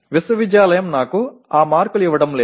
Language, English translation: Telugu, The university is not going to give me those marks